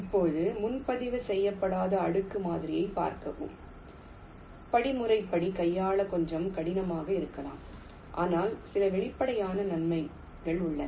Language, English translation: Tamil, now see unreserved layer model, maybe little difficult to handle algorithmically but has some obvious advantages